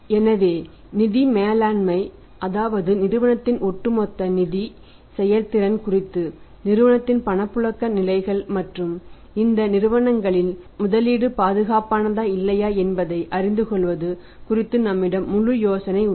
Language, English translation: Tamil, So, the financial Management we have complete idea about the overall financial performance of the firm the liquidity positions of the firm of and to know whether investment in these companies is safe or not